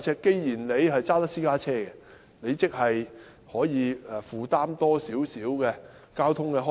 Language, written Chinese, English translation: Cantonese, 既然市民駕駛私家車，即他們能負擔多一點交通開支。, If someone drives a private car that means he can afford more in transport expenses